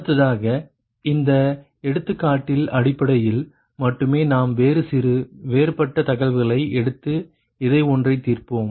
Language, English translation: Tamil, next, based on this example only, we will take another ah, some different data, and we will solve this one